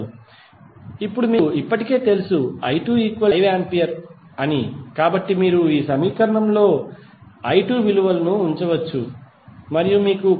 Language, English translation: Telugu, Now, since we have already know that i 2 is equal to minus 5 ampere you can simply put the value of i 2 in this equation and you will get current i 1 as minus 2 ampere